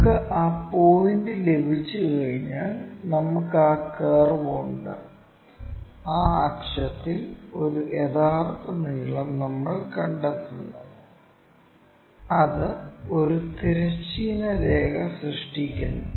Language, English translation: Malayalam, Once, we have that point, we have that curve again we locate a true length on that axis, which makes a horizontal line